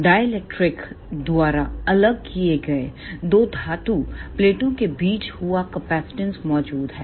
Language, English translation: Hindi, A capacitance exist between two metal plates separated by a dielectric